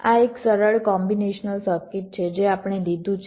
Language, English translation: Gujarati, it is a pure combinational circuit